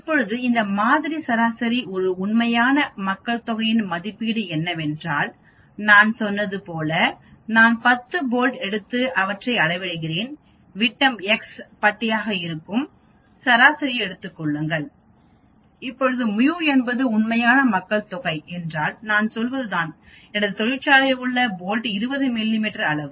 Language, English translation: Tamil, Now this sample mean is an estimate of the true population mean, like I said, I take 10 bolts and then measure their diameter take an average that is x bar, now mu is what is the real population mean which I say the bolts in my factory are 20 mm of size